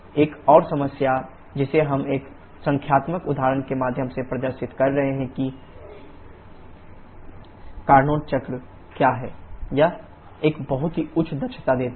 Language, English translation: Hindi, Another problem that we shall be demonstrating through a numerical example shortly that Carnot cycle do is, it gives a very high efficiency